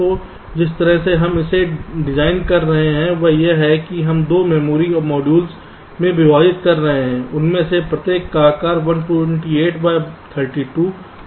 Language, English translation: Hindi, so the way we are designing it is that we are dividing that into two memory modules, each of them of size one twenty eight by thirty two and one twenty eight by thirty two